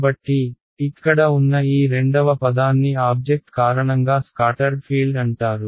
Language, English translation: Telugu, So, this second term over here is called the scattered field, due to object right